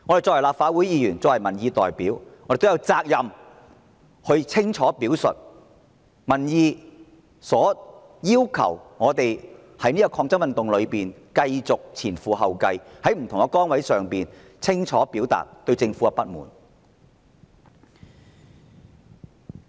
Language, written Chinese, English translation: Cantonese, 作為立法會議員和民意代表，我們也有責任清楚表達民意對我們的要求，在這場抗爭運動中繼續前仆後繼，在不同的崗位清楚表達市民對政府的不滿。, As Members of this Council and elected representatives we do have the responsibility to clearly express the requests made to us by public opinion continue our fight in this movement of public resistance and clearly reflect public dissatisfaction with the Government